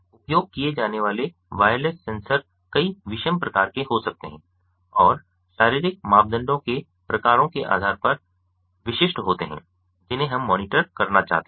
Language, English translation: Hindi, the wireless sensors used can be of many heterogeneous types and are application specific, depending on the types of physiological parameters that we may want to monitor